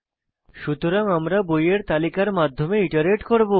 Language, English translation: Bengali, So we will iterate through the book list